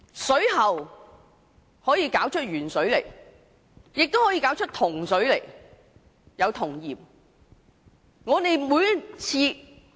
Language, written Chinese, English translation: Cantonese, 水喉不單會流出鉛水，亦會流出銅水，還有銅鹽。, Water flowing out from taps do not only contain lead but also copper and even copper salts